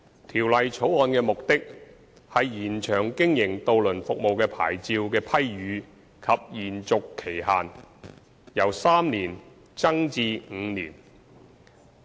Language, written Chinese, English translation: Cantonese, 《條例草案》的目的，是延長經營渡輪服務的牌照的批予及延續期限，由3年增至5年。, The purpose of the Bill is to lengthen the periods for which a licence to operate a ferry service may be granted and extended from three years to five years